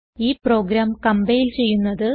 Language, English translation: Malayalam, To compile the program